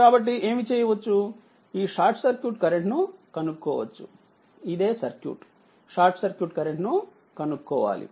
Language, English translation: Telugu, So, so what you can do is that to find out this short circuit current, this is the circuit you have to find out you have to find out, your short circuit current